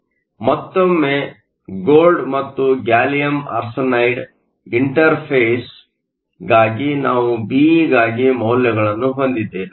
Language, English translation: Kannada, Again, for the gold and gallium arsenide interface we have the values for Be